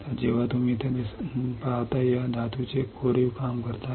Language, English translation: Marathi, So, when you etch the metal what you see here